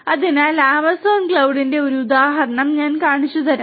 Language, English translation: Malayalam, So, let me show you an example of the Amazon cloud